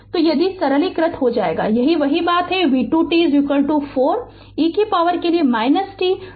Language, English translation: Hindi, So, if you simplify you will get the same thing v 2 t is equal to 4, e to the power minus t plus 20 volt right